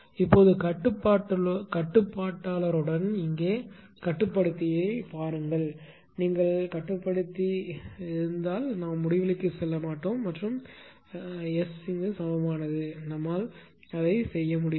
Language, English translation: Tamil, Now, with controller just a see with controller here if you controller that is there we cannot put at T tends to infinity or S is equal to we cannot do that